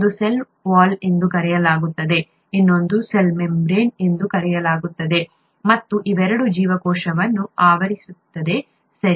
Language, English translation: Kannada, One is called a cell wall, the other one is called a cell membrane, and both of them envelope the cell, right